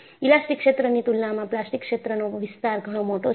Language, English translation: Gujarati, A plastic region is, very large in comparison to elastic region